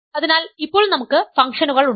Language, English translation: Malayalam, So, now, we have functions